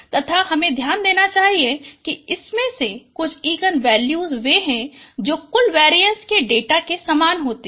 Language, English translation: Hindi, And should note that some of these eigen values they are the same as the total variance of the data